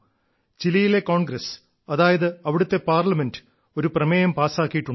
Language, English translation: Malayalam, The Chilean Congress, that is their Parliament, has passed a proposal